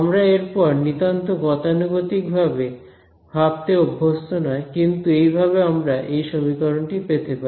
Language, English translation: Bengali, We are not used to thinking about it in such threadbare means, but that is how we arrived at this equation right